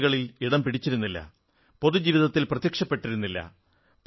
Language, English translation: Malayalam, He was neither seen in the news nor in public life